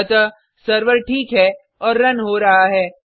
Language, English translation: Hindi, So, the server is up and running